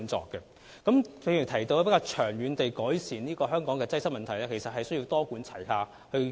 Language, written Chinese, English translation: Cantonese, 正如我剛才提到，要長遠改善香港的交通擠塞問題，其實需要採取多管齊下的做法。, As I pointed out earlier in order to ameliorate Hong Kongs traffic congestion in the long run a multi - pronged approach should be adopted actually